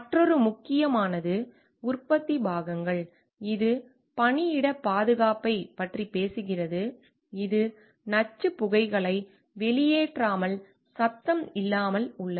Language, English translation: Tamil, Another important phase manufacturing parts like it talks of workplace safety, it is free from noise free from emission of toxic fumes